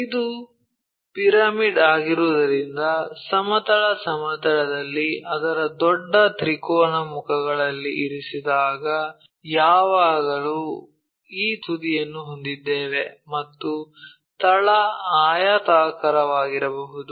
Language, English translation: Kannada, When it lies on one of its larger triangular faces on horizontal plane, because it is a pyramid, we always have these apex vertex and base might be rectangular thing